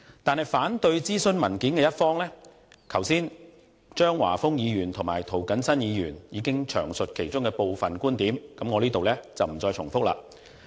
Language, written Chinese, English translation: Cantonese, 至於反對諮詢文件的一方，張華峰議員和涂謹申議員剛才已經詳述他們的部分觀點，我在此不再重複。, As for opponents of the consultation paper Mr Christopher CHEUNG and Mr James TO have already discussed thoroughly some of their viewpoints . I am not prepared to repeat them here